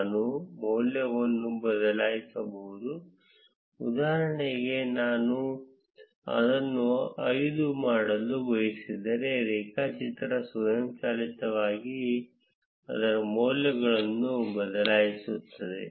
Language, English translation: Kannada, I can change the value, if I want for instance if I want to make it as five, the graph would automatically change its values